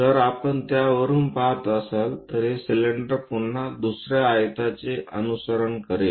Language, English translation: Marathi, If we are looking from top of that this cylinder again follows another rectangle